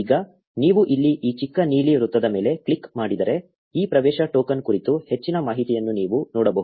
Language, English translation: Kannada, Now if you click on this little blue circle here, you can see more information about this access token